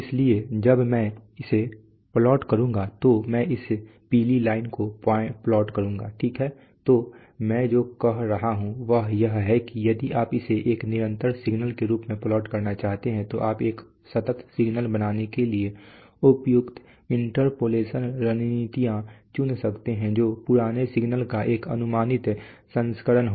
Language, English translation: Hindi, So when I will plot it I will plot this yellow line, right so what I am saying is that if you want to plot it as an, as a continuous signal then you may choose appropriate interpolation strategies for, to construct a continuous signal which will be an approximate version of the old signal